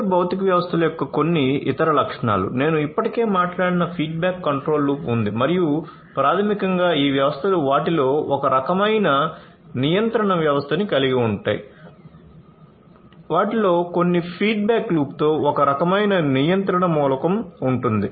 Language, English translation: Telugu, So, some of the other features of cyber physical systems; there is a feedback control loop that I already talked about and these basically these systems will have some kind of a control system in them there is some kind of a control element in them with certain feedback loop